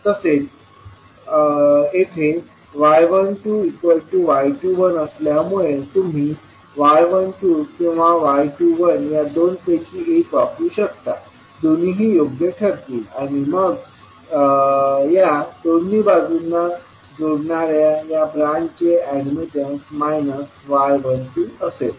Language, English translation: Marathi, Now, here since y 12 is equal to y 21 so you can use either y 12 or y 21 both are, both will hold true and then the branch which is connecting these two legs will have the admittance equal to minus of y 12